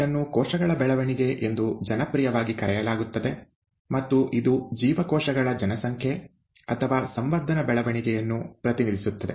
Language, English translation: Kannada, It is popularly referred to as ‘cell growth’ and it actually represents the growth of a population of cells or a culture